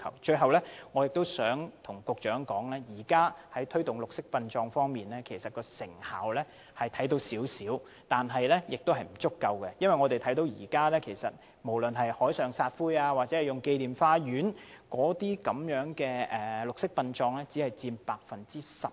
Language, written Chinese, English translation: Cantonese, 最後，我想告訴局長，雖然當局在推動綠色殯葬方面的工作已見一點成效，但仍然不足夠，因為現時採用海上或紀念花園撒灰的綠色殯葬只佔約 10%。, Last but not least I would like to tell the Secretary that although results have indeed been achieved in respect of green burial as promoted by the Administration there is still much room for improvement because so far green burial only accounts for about 10 % of cremations